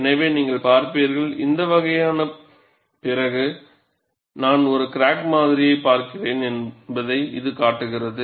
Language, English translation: Tamil, So, you will see, this only shows, that I am looking at a crack specimen, after this kind of loading